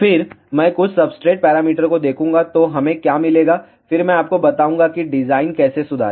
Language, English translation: Hindi, Then I will take some substrate parameters see what we get then I will tell you how to improve the design